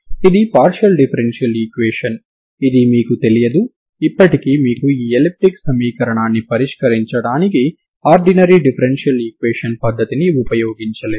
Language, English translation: Telugu, This is a partial differential equation I am just giving you the method to solve this one just using basic methods of ordinary differential equations